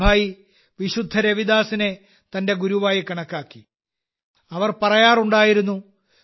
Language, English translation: Malayalam, Mirabai considered Saint Ravidas as her guru